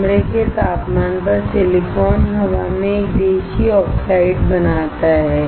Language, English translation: Hindi, Room temperature silicon in air creates a ‘native oxide’